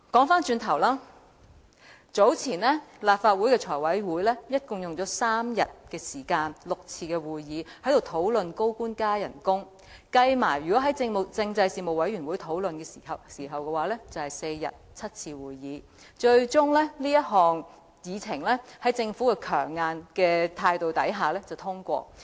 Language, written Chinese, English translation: Cantonese, 話說回來，立法會財務委員會早前共用了3天時間舉行6次會議來討論高官加薪，再加上政制事務委員會討論的時間，共用了4天、7次會議，這項議程最終在政府強硬態度下獲得通過。, Back to the subject some time ago the Finance Committee of the Legislative Council held six meetings in three days to discuss the salary increase for senior government officials adding to this the discussion time spent by the Panel on Constitutional Affairs at the seven meetings held in four days . Finally the motion was passed under the strong attitude of the Government